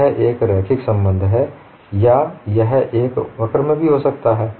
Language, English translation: Hindi, It is a linear relationship or it could also move in a curve